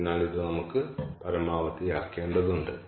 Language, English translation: Malayalam, ok, so this is what we need to maximize